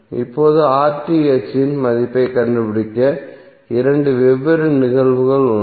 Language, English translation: Tamil, Now to find out the value of RTh there are two different cases